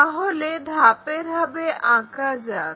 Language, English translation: Bengali, So, let us draw that step by step